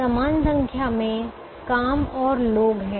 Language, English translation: Hindi, there are an equal number of jobs and people